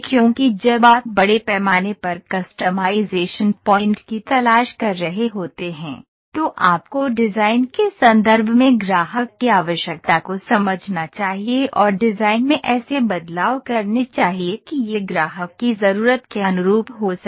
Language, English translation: Hindi, Because when you are looking for the mass customization point of view, mass customization point of view you are supposed to understand the customer’s requirement in terms of design and make changes in the design such that it can suit the customer’s need